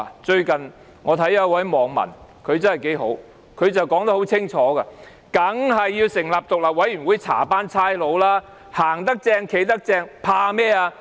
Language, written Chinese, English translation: Cantonese, 最近我看到一個網民說得很好，他說得很清楚："當然要成立獨立委員會調查警方，行得正，企得正，怕甚麼？, Recently I found that the comments made by a netizen have hit the nail on the head . He stated clearly Of course an independent commission of inquiry should be set up to inquire into the Police . What are they afraid of if they are upstanding?